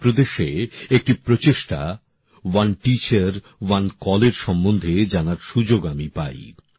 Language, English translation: Bengali, I got a chance to know about one such effort being made in Uttar Pradesh "One Teacher, One Call"